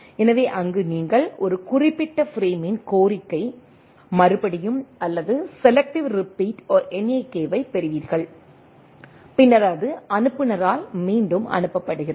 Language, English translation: Tamil, So and then there you receive a NAK of request repeat or selective repeat of a particular frame, then it is resend by the sender